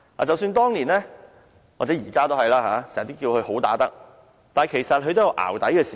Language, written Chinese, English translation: Cantonese, 即使當年——現在也一樣——大家都叫她"好打得"，但其實她也有"淆底"的時候。, Years ago people used to call her a good fighter and they she is still described in this way even now . But actually she also falters